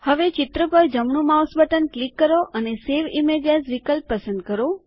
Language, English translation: Gujarati, Now right click on the image and choose the Save Image As option